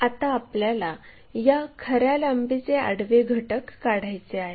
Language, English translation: Marathi, Now, we have to draw horizontal component of this true lengths